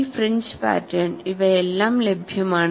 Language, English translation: Malayalam, All these fringe patterns are available